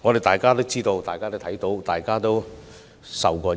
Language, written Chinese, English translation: Cantonese, 大家皆知道及看到，亦身受其害。, This is known and evident to all and we have all suffered